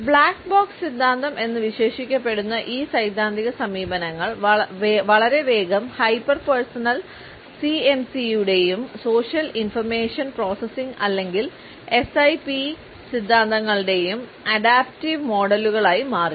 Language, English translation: Malayalam, These theoretical approaches which have been termed as the ‘black box’ theory, very soon changed into adaptive models of hyper personal CMC and social information processing or SIP theories